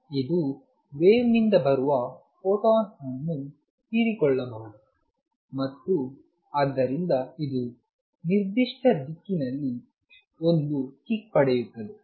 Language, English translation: Kannada, It may absorb a photon from wave coming down and therefore, it gets a kick in certain direction